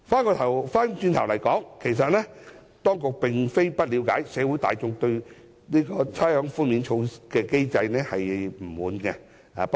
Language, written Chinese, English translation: Cantonese, 話說回來，當局並非不了解社會大眾對差餉寬免機制的不滿。, The Government understands the general publics dissatisfaction with the rates concession mechanism